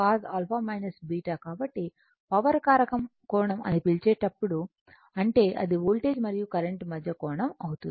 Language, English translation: Telugu, So, because the your what you call whenever you call power factor angle means it is the angle between the voltage and the current right